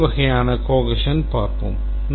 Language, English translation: Tamil, Let's see the different types of position